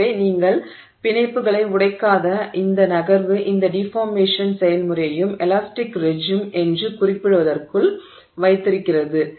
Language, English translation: Tamil, So, this movement where you have not broken the bonds keeps this whole deformation process within what is referred to as the elastic regime